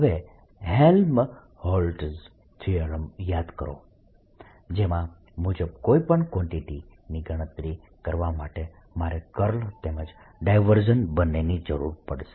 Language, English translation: Gujarati, now recall helmholtz theorem that says that to calculate any quantity i need its curl as well as divergence